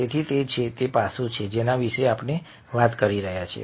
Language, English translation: Gujarati, that's the aspect we are talking about